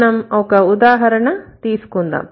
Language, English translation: Telugu, Let's take an example